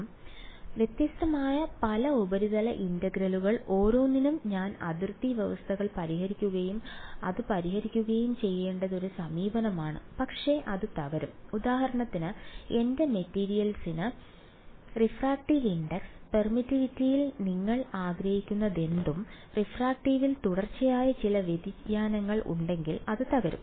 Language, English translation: Malayalam, So, many different surface integrals each of those I will have to solve put boundary conditions and solve it that is one approach, but that will break down if for example, my my material has some continuous variation in refractive in refractive index permittivity whatever you want to call it right